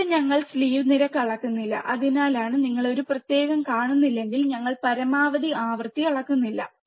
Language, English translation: Malayalam, Here we are not measuring the slew rate that is why if you do not see a separate we are not measuring maximum frequency